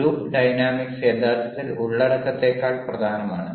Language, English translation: Malayalam, group dynamics are actually more important than ah content